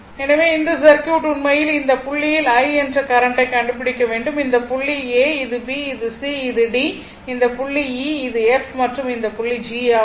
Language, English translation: Tamil, So, this circuit actually it isit is your this this pointyou have to find out this is the current I and this point is a, this is b, this is c, this is d, this point is e, this is f and this point is g right